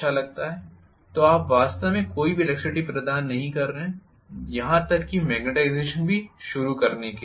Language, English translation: Hindi, so you are not going to really provide any electricity at all to start even the magnetization